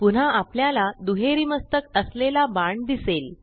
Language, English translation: Marathi, Again, we see a double headed arrow